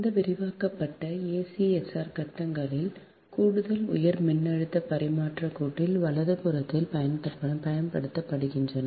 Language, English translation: Tamil, expanded acsr conductors are used in extra high voltage transmission line, right